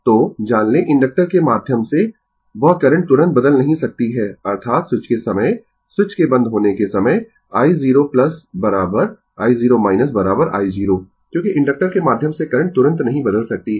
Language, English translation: Hindi, So, we know that current through inductor cannot change instantaneously; that means, at the time of switch, at the time switch is closed i 0 plus is equal to i 0 minus is equal to i 0 because current through inductor cannot change instantaneously